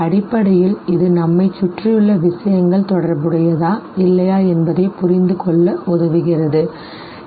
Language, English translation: Tamil, Basically it helps us perceive things around us in terms of whether they are related or not